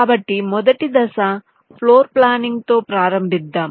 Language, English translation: Telugu, ok, so let us start with the first steps: floorplanning